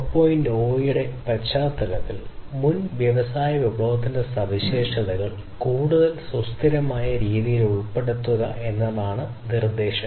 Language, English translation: Malayalam, 0 the proposition is to include the characteristics of previous industry revolution in a much more sustainable way